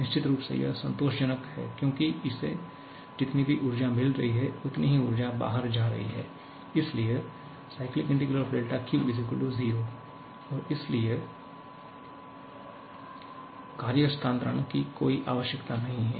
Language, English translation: Hindi, Definitely, it is satisfying because whatever amount of energy it is getting, same amount of energy is going out, so cyclic integral of del Q = 0 and hence no need of work transfer